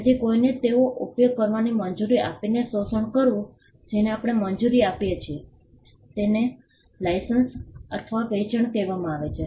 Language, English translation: Gujarati, So, exploitation by giving permission to somebody to use it what we call a granting permission is called as a licence or by a sale